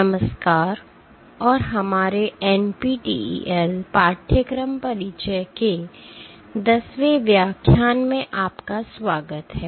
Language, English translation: Hindi, Hello and welcome to our 10th lecture of our NPTEL course Introduction to Mechanobiology